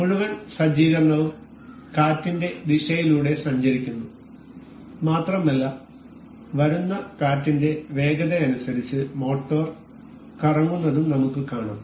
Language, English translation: Malayalam, The whole set up moving along the direction of wind and also we can see the motor rotating as per the speed of the wind that will be coming